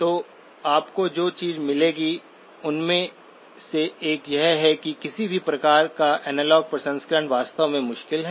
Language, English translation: Hindi, So one of the things that you will find is that analog processing of any kind is actually difficult